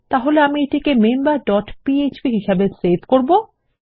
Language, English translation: Bengali, So Ill save this as member dot php